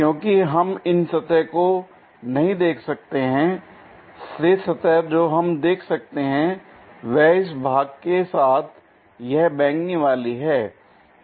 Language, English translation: Hindi, Because we cannot see these surfaces, the rest of the surface what we can see is this purple one along with this part